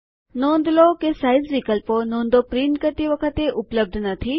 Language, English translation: Gujarati, Notice that the Size options are not available when we print Notes